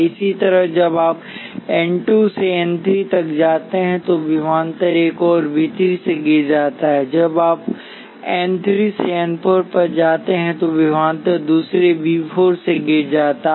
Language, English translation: Hindi, Similarly when you go from n 2 to n 3 voltage falls by another V 3 and when you go from n 3 to n 4 voltage falls by another V 4